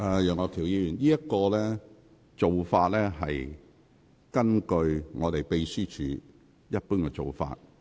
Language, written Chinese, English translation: Cantonese, 楊岳橋議員，你所提述的是秘書處的一貫做法。, Mr Alvin YEUNG what you have just said is actually the established practice of the Secretariat